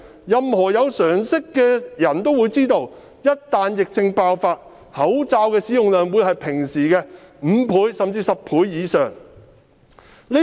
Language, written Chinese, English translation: Cantonese, 任何有常識的人也知道，一旦疫症爆發，口罩的使用量會是平時的5倍甚至10倍以上。, Anyone with common sense knows that in the event of an outbreak the number of masks used will be five or even 10 times that in normal times